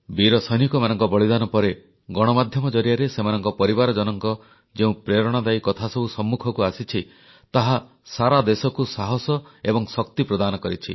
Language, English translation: Odia, The martyrdom of these brave soldiers brought to the fore, through the media, touching, inspiring stories of their kin, whichgive hope and strength to the entire country